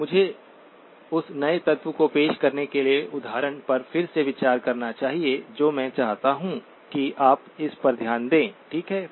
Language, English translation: Hindi, Let me revisit the example in order to introduce the new element that I want you to pay attention to, okay